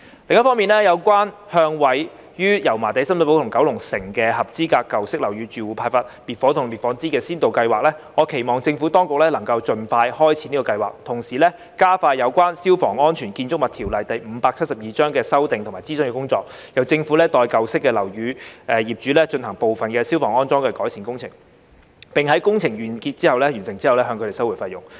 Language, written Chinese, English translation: Cantonese, 另一方面，有關向位於油麻地、深水埗及九龍城的合資格舊式樓宇住戶派發滅火筒及滅火氈的先導計劃，我期望政府當局能夠盡快開展這項計劃，同時加快有關《消防安全條例》的修訂及諮詢工作，由政府代舊式樓宇業主進行部分消防安裝改善工程，並在工程完成後向他們收回費用。, Besides regarding the pilot scheme of distributing fire extinguishers and fire blankets to eligible residents of old buildings in Yau Ma Tei Sham Shui Po and Kowloon City I hope the Administration can launch the scheme as soon as possible and expedite its work on amending the Fire Safety Buildings Ordinance Cap . 572 and the consultation concerned so that the Government can carry out part of the fire safety installation and improvement works on behalf of the owners of old buildings and recover the costs from them after the completion of the works